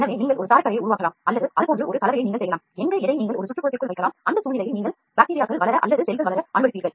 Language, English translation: Tamil, So, either you can make, you can make a scaffold or you can make a compound like this and where and which you can put it inside an ambiance and in that ambiance you will allow the bacteria to grow or whatever cells to grow